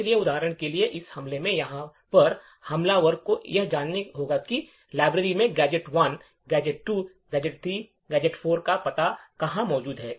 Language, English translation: Hindi, So, for example, over here in this case the attacker would need to know where the address of gadgets1, gadget2, gadget3 and gadget4 are present in the library